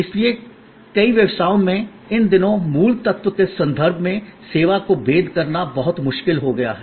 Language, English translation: Hindi, So, these days in many business is it is become very difficult to distinguish the service in terms of the core element